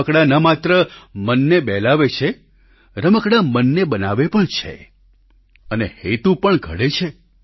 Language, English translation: Gujarati, Toys, not only entertain, they also build the mind and foster an intent too